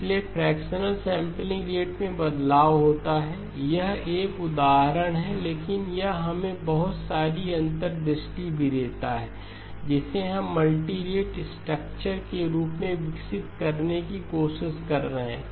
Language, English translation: Hindi, So fractional sampling rate change, it is an example, but it also gives us a lot of the insights into what we are trying to develop as far as the multirate framework